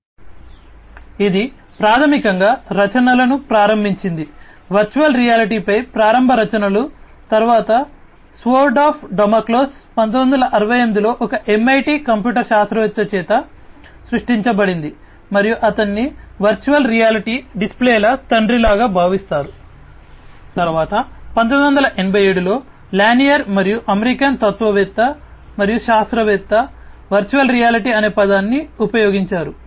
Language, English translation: Telugu, So, that basically you know started the works you know the initial works on virtual reality, then the Sword of Damocles was created by an MIT computer scientist in 1968 and he is considered sort of like a father of virtual reality displays, then in 1987, Lanier and American philosopher and scientist, coined the term virtual reality